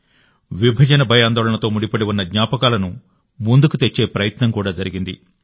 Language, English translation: Telugu, An attempt has been made to bring to the fore the memories related to the horrors of Partition